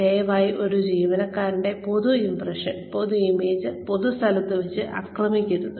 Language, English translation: Malayalam, Please, do not attack the public impression, the public image of an employee, in public